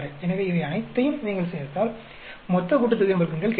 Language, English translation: Tamil, So, if you add up all these, you will get the total sum of squares